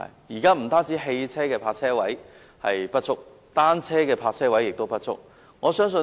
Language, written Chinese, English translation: Cantonese, 現時不單汽車的泊車位不足，單車的泊車位同樣不足。, Parking spaces are insufficient not only for motor cars but also for bicycles